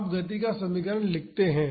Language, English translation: Hindi, Now, let us write the equation of motion